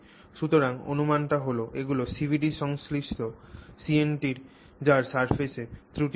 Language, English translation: Bengali, So, they are considered as CNTs having surface defects